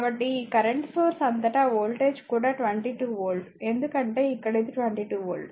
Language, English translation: Telugu, So, across this across this current source the voltage is also 22 volt because here it is across this is 22 volt